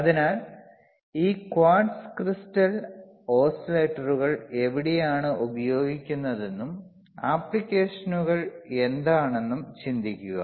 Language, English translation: Malayalam, So, think about where this quartz crystal oscillators are used, and what are the applications are what are the applications of quartz crystal oscillator and